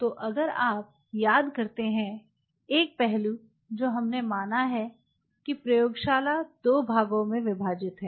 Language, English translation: Hindi, So, one aspect what we have considered is the lab is divided into 2 parts